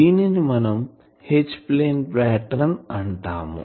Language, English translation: Telugu, So, that is called H plane pattern